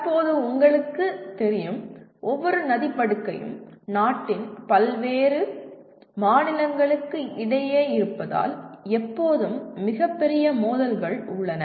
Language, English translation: Tamil, As you know at present, every river basin, being a, river water being a concurrent topic, there are always very major disputes between different states of the country